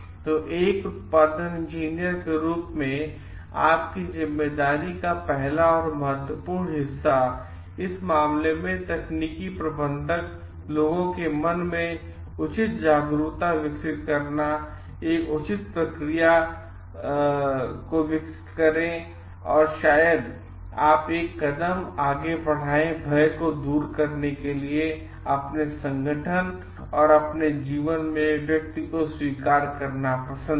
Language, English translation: Hindi, So, the first and foremost part of responsibility of the like you as a production engineer, in this case, the technical manager, to develop proper awareness in the mind of people to develop a proper responses and to remove the fear part, maybe you take one step forward in like accepting the person in your organization and your life